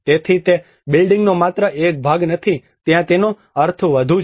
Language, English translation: Gujarati, So it is not just a part of the building there is more meanings to it